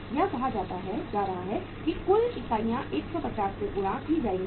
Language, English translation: Hindi, That is going to be say total units are 2500 multiplied by 150